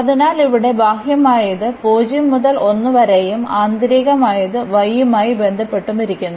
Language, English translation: Malayalam, So, here the outer one we keep as 0 to 1 and the inner one with respect to y